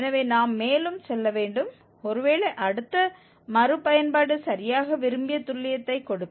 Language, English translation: Tamil, So, we have to go further, perhaps the next iteration will give exactly the desired accuracy